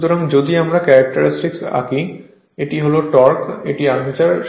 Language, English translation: Bengali, So, if we draw the characteristic this is the torque, this is I a armature correct